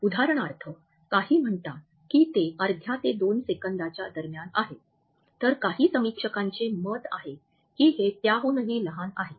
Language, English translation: Marathi, For example, some say that it is between half a second to 2 seconds whereas, some critics think that it is even shorter than this